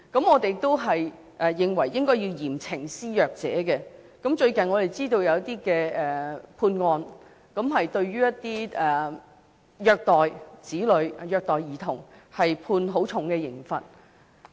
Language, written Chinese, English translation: Cantonese, 我們認為應該要嚴懲施虐者，最近我們知道有一些判例，對一些虐待兒童、子女的人士判處很重的刑罰。, We consider it necessary to impose harsh punishment on child abusers . We understand that recently there have been some precedents in which the child abusers were punished severely